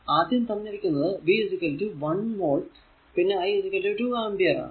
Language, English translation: Malayalam, So, first one is given V 1 is equal to 1 volt and I is equal to 2 ampere